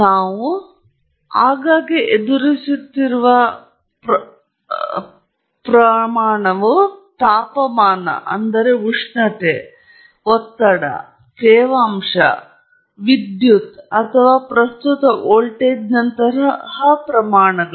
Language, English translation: Kannada, Ones that we often encounter are temperature, there is pressure, humidity, and then, electrical quantities such as current or voltage